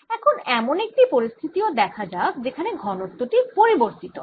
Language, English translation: Bengali, let us also look at a situation where the density varies